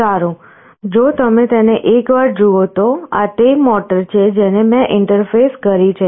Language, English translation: Gujarati, Well, if you can see it once, this is the motor that I have interfaced